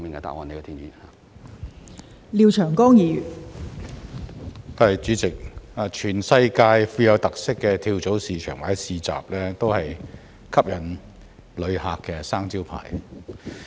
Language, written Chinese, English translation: Cantonese, 代理主席，全世界富有特色的跳蚤市場或市集，都是吸引旅客的"生招牌"。, Deputy President characterful flea markets or marketplaces around the world are all signature attractions appealing to tourists